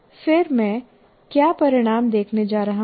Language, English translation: Hindi, And then what are the results that I'm going to look at